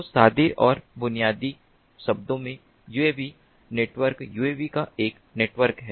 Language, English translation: Hindi, so, in plain and basic terms, uav network is a network of uavs